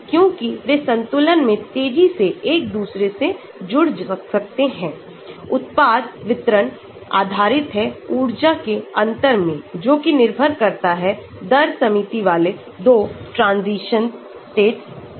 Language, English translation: Hindi, Because, they can interconvert rapidly in equilibrium, the product distribution will be based on this difference in energy between the 2 rate limiting transition states